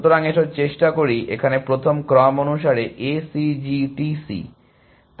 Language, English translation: Bengali, So, let us try that, this is by first sequence here A C G T C